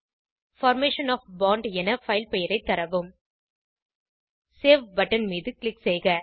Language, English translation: Tamil, Enter the file name as Formation of bond Click on Save button